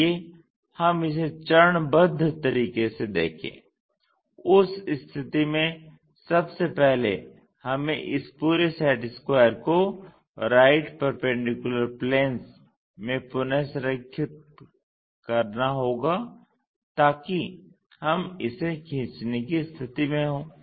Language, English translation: Hindi, Let us look at it step by step, in that case first of all we have to realign this entire set square into right perpendicular planes so that we will be in a position to draw it